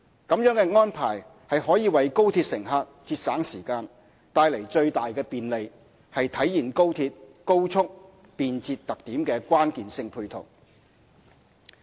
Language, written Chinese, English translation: Cantonese, 這樣的安排可為高鐵乘客節省時間，帶來最大的便利，是體現高鐵高速、便捷特點的關鍵性配套。, This arrangement will save time and bring maximum convenience to XRL passengers and is an instrumental measure to realize the features of high speed and convenience of XRL